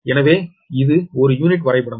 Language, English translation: Tamil, so this is per unit diagram